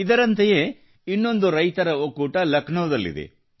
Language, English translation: Kannada, One such group of farmers hails from Lucknow